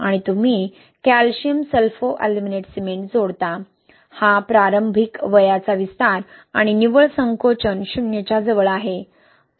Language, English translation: Marathi, And you add the calcium Sulfoaluminate cement, see this early age expansion and the net shrinkage is close to zero